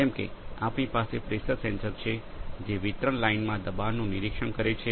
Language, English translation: Gujarati, So, like we have pressure sensors which are monitoring pressure in the distribution line